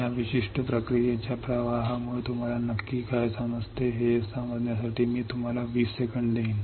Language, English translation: Marathi, I I will give you 20 seconds to understand what exactly you understand with this particular process flow